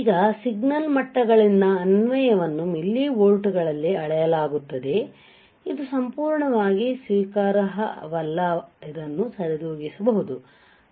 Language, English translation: Kannada, Now, application by the signal levels are measured in millivolts this is totally not acceptable this can be compensated